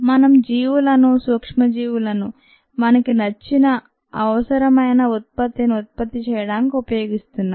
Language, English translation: Telugu, we are using organisms, micro oraganisms, to produce the product of our interest